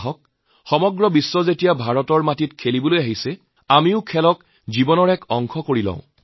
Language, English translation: Assamese, Come on, the whole world is coming to play on Indian soil, let us make sports a part of our lives